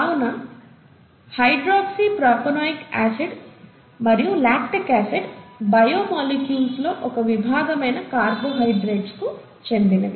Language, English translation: Telugu, And therefore, this is a hydroxypropanoic acid, lactic acid belongs to a class of biomolecules called carbohydrates